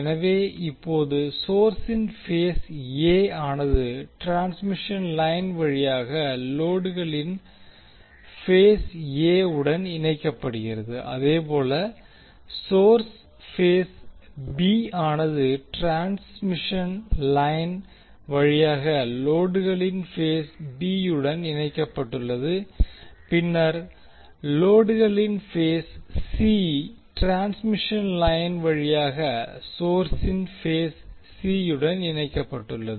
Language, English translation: Tamil, So now the phase A of the source is connected to phase A of the load through transmission line, similarly phase B of the source is connected to phase B of the load through the transmission line and then phase C of the load is connected to phase C of the source through the transmission line